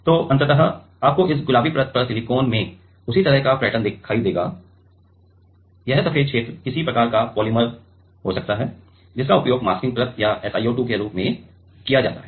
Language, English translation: Hindi, So, ultimately you should see the same kind of pattern in the silicon on this pink layer this white region can be some kind of polymer which is used as a masking layer or SiO2